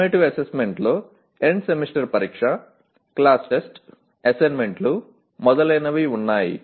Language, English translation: Telugu, The summative assessment includes the End Semester Examination, Class Tests, Assignments and so on